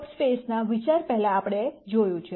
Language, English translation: Gujarati, We have seen before the idea of subspaces